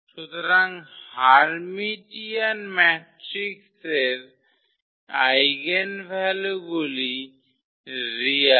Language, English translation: Bengali, So, the eigenvalues of Hermitian matrix are real